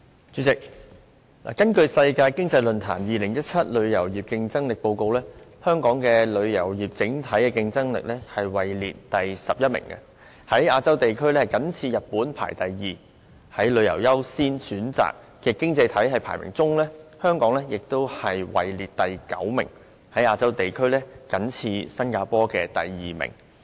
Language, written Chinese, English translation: Cantonese, 主席，根據世界經濟論壇發表的《2017年旅遊業競爭力報告》，香港旅遊業的整體競爭力位列第十一名，在亞洲地區僅次於日本，排行第二，而在旅遊業的優先程度方面，香港在各經濟體中排名第九，在亞洲地區僅次於新加坡，排行第二。, President according to the Travel Tourism Competitiveness Report 2017 released by the World Economic Forum the overall competitiveness of Hong Kongs tourism industry ranked 11 . In the Asian region its ranking was only second to Japan . In terms of prioritization of travel and tourism Hong Kong ranked ninth among all the economies